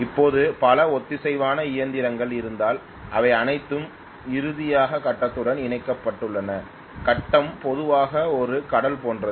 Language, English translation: Tamil, Now if I have multiple number of synchronous machines that are all connected finally to the grid right, the grid is generally like an ocean